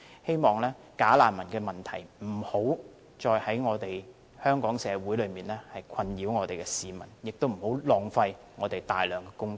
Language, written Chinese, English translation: Cantonese, 希望假難民問題不會繼續在香港社會中對市民造成困擾，也不會繼續浪費大量公帑。, I hope the problem of bogus refugees will cease to cause distress to people in the Hong Kong society and waste a lot of public funds